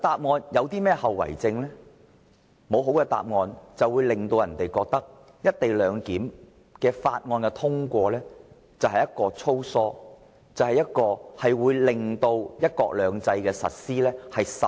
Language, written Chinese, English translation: Cantonese, 沒有具說服力的答案，便會讓人覺得《條例草案》粗疏，通過後會損害"一國兩制"的實施。, Without a convincing answer people will think that the Bill is sloppy and its passage will jeopardize the implementation of one country two systems